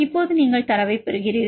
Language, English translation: Tamil, Now, how do you get the data